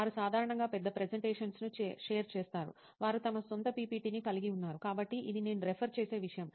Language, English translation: Telugu, They generally share big presentations; they have their own PPT, so that is something which I refer to